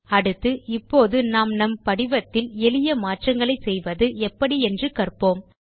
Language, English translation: Tamil, Next, let us learn how to make simple modifications to our form